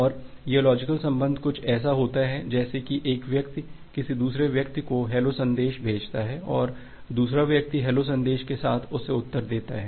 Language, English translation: Hindi, And this logical connection is something like that one person is saying about hello and another person is replying back with another hello message